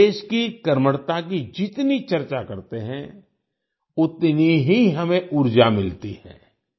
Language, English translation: Hindi, The more we talk about the industriousness of the country, the more energy we derive